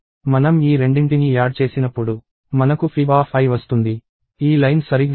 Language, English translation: Telugu, When we add these 2, we get fib of i; that is exactly what this line is doing